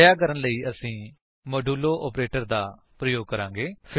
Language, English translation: Punjabi, To do that, we use the modulo operator